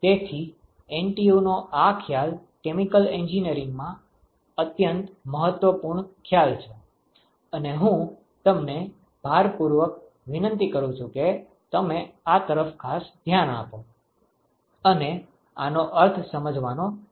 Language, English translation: Gujarati, So, NTU this concept is an extremely important concept in chemical engineering and I would strongly urge you to pay special attention to this and try to understand what this means